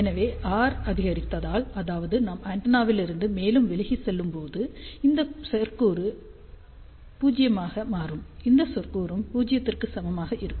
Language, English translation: Tamil, So, if r increases; that means, as we are going further away from the antenna, so this term will become 0, this term will also be equal to 0